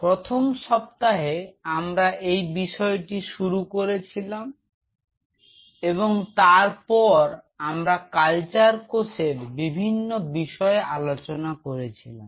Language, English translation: Bengali, So, in the first week, we introduced the subject and then we went on exploring the different aspect of the biology of the cultured cells